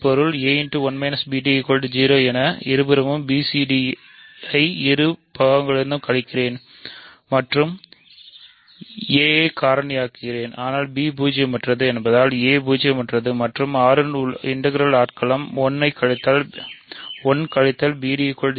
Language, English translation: Tamil, I am just subtracting b c d from both sides b a d from both sides and factoring a, but since b is non zero a is non zero and R is a integral domain 1 minus b d is 0 right